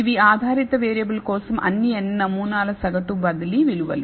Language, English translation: Telugu, So, these are the mean shifted values of all the n samples for the dependent variable